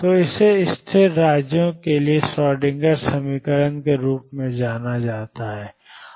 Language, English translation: Hindi, So, this is known as the Schrödinger equation, for stationary states